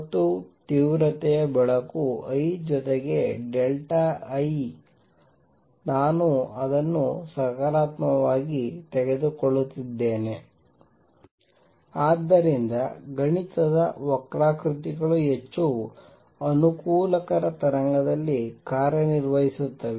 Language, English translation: Kannada, And light of intensity I plus delta I, I am taking it to be positive so that mathematics curves work out in more convenient wave